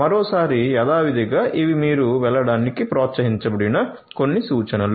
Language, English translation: Telugu, Once again as usual, these are some of the references that you are encouraged to go through